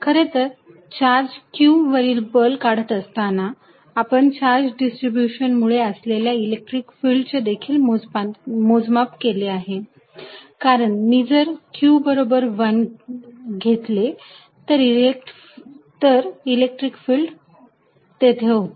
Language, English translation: Marathi, In fact, while calculating forces on a given charge q, we had also calculated electric field due to a charge distribution, because if I take small q to be 1, it becomes the electric field